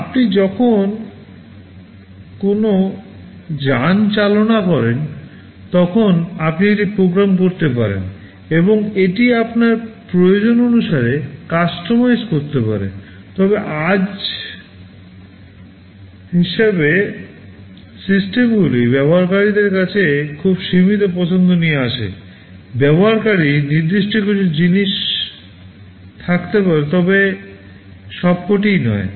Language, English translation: Bengali, Like when you drive a vehicle you may program it and customize it according to your need, but as of today the systems come with very limited choice to the users; may be a few things user can specify, but not all